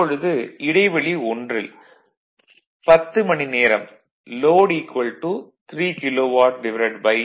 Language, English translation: Tamil, Now interval one that is 10 hours load is 3 by 0